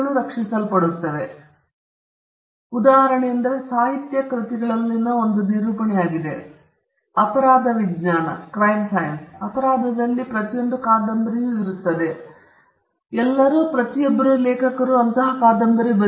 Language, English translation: Kannada, Now, the best instance would be or a one illustration would be the genre in literary works; crime fiction, you would have seen that almost every novel in crime could either be a who done it or how somebody did something